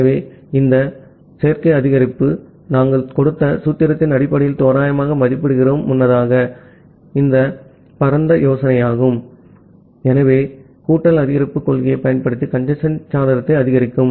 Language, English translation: Tamil, So, this additive increase, we approximate based on the formula that we have given earlier, so that is the broad idea, so of increasing the congestion window by using the additive increase principle ok